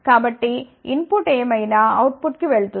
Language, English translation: Telugu, So, whatever is the input goes to the output